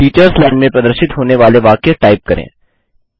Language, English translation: Hindi, Let us type the sentence displayed in the Teachers line